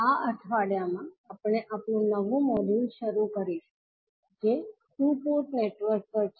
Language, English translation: Gujarati, So, in this week we will start our new module that is on two port network